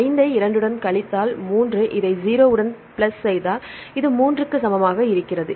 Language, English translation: Tamil, So, 4 minus 3 that is equal to plus 0 that is equal to 1